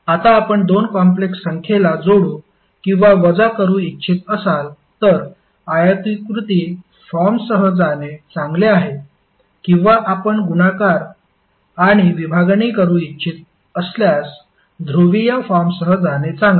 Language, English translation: Marathi, Now if you want to add or subtract the two complex number it is better to go with rectangular form or if you want to do multiplication or division it is better to go in the polar form